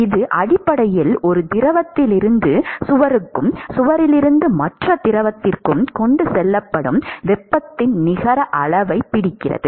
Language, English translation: Tamil, It is essentially captures the net amount of heat that is transported from one fluid to the wall and from wall to the other fluid